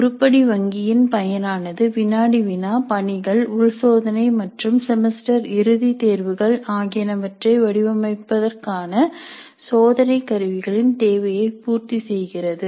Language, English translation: Tamil, Now the purpose of an item bank is to meet the needs of designing test instruments for quizzes, assignments, internal tests and semester and examination